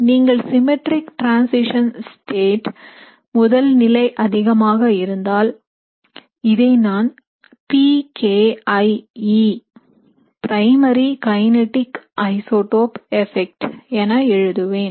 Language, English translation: Tamil, So essentially, if you have a symmetric transition state you have maximum primary, I will write it as PKIE primary kinetic isotope effect